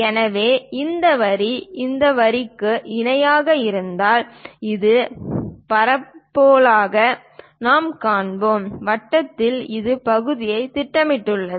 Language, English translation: Tamil, So, this line, this line if it is parallel; the projected one this part in a circle we see as a parabola